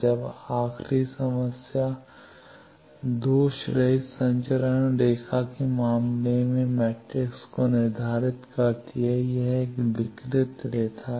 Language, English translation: Hindi, Now, the last problem that determines the S matrix of a lossless transmission line, this is a distributed line